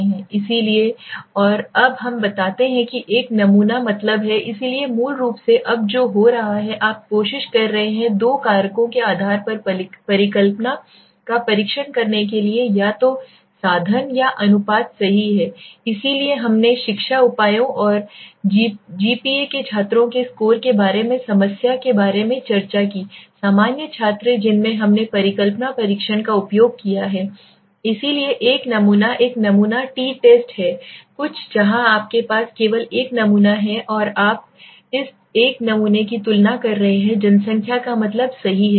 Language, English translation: Hindi, So and now we explain that one sample mean, so basically what is happening now you are trying to test the hypothesis on the basis of the two factors either the means or the proportions right , so we discussed about the problem about the score of students GPA of education measures and the normal students in which we used the hypothesis testing so one sample is one sample t test is something where you have only one sample and you were comparing this one sample against the population mean right